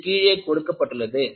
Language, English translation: Tamil, These are shown here